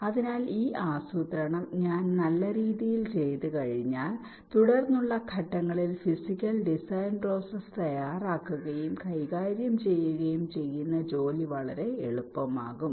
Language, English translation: Malayalam, so once i do this planning in a nice way, the task of laying out and handling the physical design process in subsequent stages becomes much easier